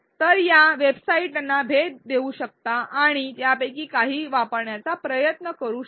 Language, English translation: Marathi, So, you can visit these websites and try to use some of them